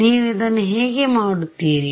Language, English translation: Kannada, How would you do this